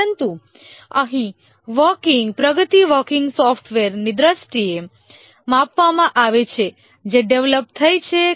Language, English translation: Gujarati, But here the progress is measured in terms of the working software that has got developed